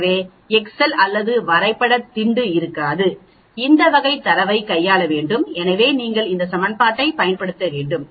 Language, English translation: Tamil, So, the excels or graph pad will not be able to handle this type of data so you need to use these equations